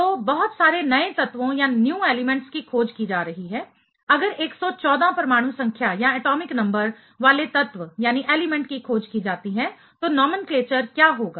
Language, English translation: Hindi, So, lot of other lot of new elements are getting discovered, if something like 114 atomic number containing element is discovered, what will be the nomenclature